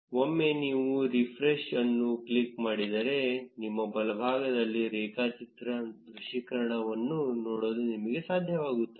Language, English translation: Kannada, Once you click on refresh, you will be able to see the graph visualization on your right